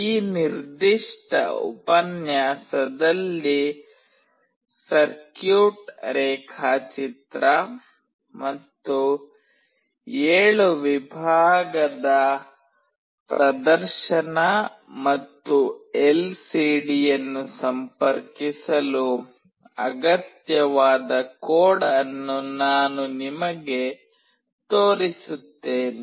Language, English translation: Kannada, In this particular lecture, I will be showing you the circuit diagram and the code that is required for interfacing the 7 segment display and the LCD